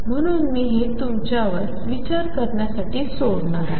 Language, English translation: Marathi, So, I leave that for you to think about